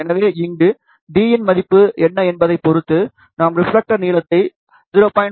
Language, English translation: Tamil, So, here depending upon what is the value of d, we can choose the reflector length between 0